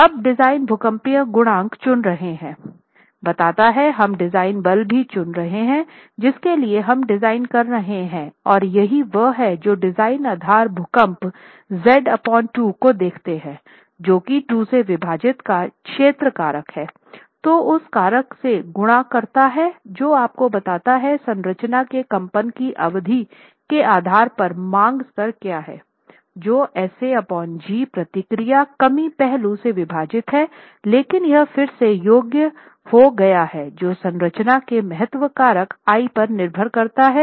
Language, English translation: Hindi, Now, adopting the design seismic coefficient implies we are also choosing the design force for which we are designing and that is what we see the design basis earthquake being Z by 2 which is the zone factor by 2 multiplied by the factor that tells you what is the demand level depending on the period of vibration of the structure which is SA by G divided by the response reduction factor but this has to be qualified again depending on the importance factor of the structure